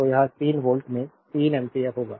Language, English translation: Hindi, So, it will be 3 ampere in to 3 volt